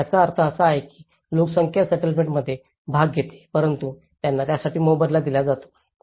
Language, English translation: Marathi, So, which means the population does participate in the settlement but they are paid for it